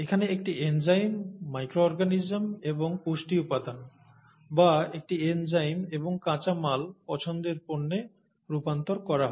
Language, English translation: Bengali, Or an enzyme here, in the micro organism plus nutrients or an enzyme, and the raw material is converted into the product of interest